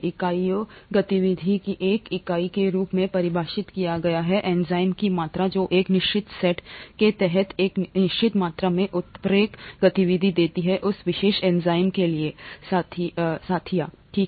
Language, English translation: Hindi, Units, a Unit of activity is defined as the amount of enzyme which gives a certain amount of catalytic activity under a prescribed set of conditions for that particular enzyme, okay